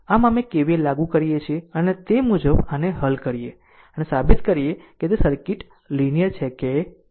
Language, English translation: Gujarati, So, we apply KVL and accordingly you solve this one right and prove that whether it a circuit is a linear or not